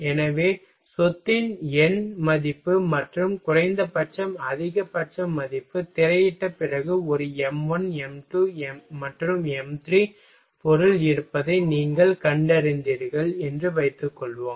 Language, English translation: Tamil, So, numerical value of property and maximum value in the least, suppose that after screening you found that there is a m 1, m 2 and m 3 material are suitable for design